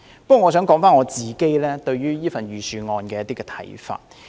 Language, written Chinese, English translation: Cantonese, 不過，我想說說自己對這份預算案的看法。, Nevertheless I would like to talk about my views on the Budget